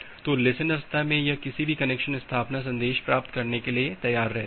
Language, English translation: Hindi, So, at the listen state it is ready to receive any connection establishment message